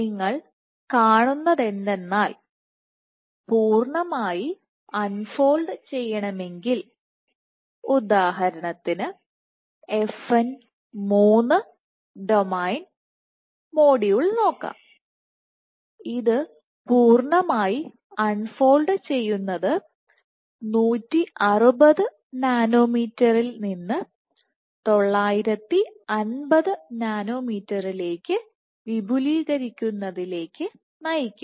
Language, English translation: Malayalam, So, what you see over all is that the complete unfolding, so for FN 3 domain module, so complete unfolding would lead to extension from 160 nanometers to 950 nanometers